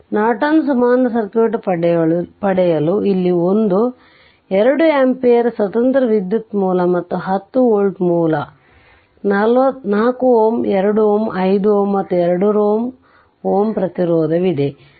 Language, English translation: Kannada, So, we have to get the Norton equivalent circuit of this one 2 ampere independent source is there and a 10 volt source is there at 4 ohm 2 ohm 5 ohm and 2 ohm resistance are there